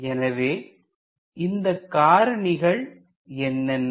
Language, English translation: Tamil, So, what are those factors